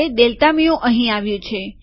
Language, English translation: Gujarati, Now delta mu has come there